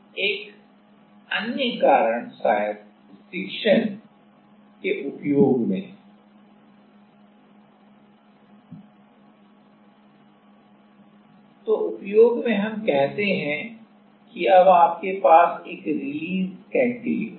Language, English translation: Hindi, Another type of a reason maybe in use stiction; so, in use stiction let us say, so, you are you have a now release cantilever